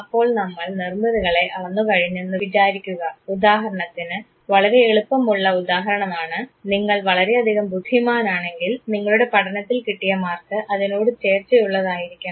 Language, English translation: Malayalam, So, you have quantified constructs say for example, the simplest example could be that if you are extremely intelligent your scholastic score should match with it